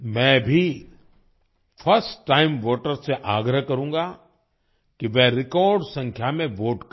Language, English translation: Hindi, I would also urge first time voters to vote in record numbers